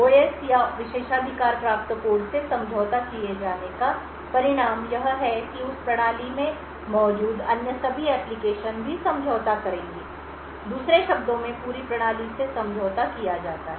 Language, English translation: Hindi, The result of the OS or the privileged code getting compromised is that all other applications present in that system will also, get compromised, in other word the entire system is compromised